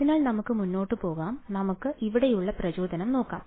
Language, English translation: Malayalam, So, let us go ahead so let us look at the motivation over here